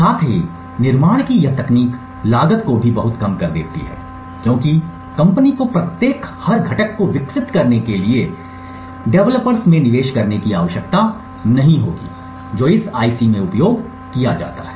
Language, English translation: Hindi, Also, this technique of development also reduces the cost drastically because the company would not need to invest in developers to develop each and every component that is used in that IC